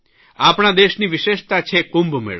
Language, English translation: Gujarati, There is one great speciality of our country the Kumbh Mela